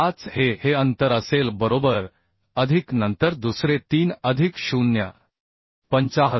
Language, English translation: Marathi, 5 this will be this distance right plus then another is 3 plus 0